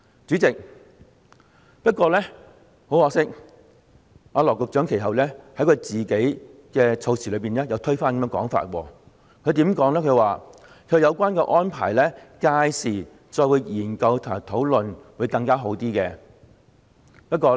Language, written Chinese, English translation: Cantonese, 主席，不過，很可惜，羅局長其後卻推翻自己發言動議有關議案時的這個說法。他說屆時再就有關安排作研究和討論會更加好。, President regrettably Secretary Dr LAW later reversed the remarks he made when moving the motion concerned saying that it would be better to consider and discuss the relevant arrangements when the time came